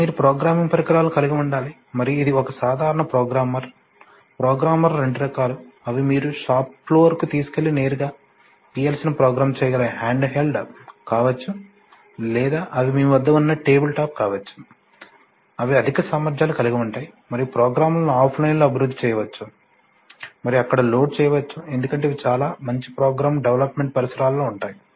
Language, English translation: Telugu, Then you have to have programming devices and this is a typical programmer, programmer are of two types, either they could be handheld which you can take to the shop floor and directly program the PLC or they could be tabletop where you have which are of higher capabilities and where you actually develop programs offline and maybe go and just load it there because these have very good program development environments also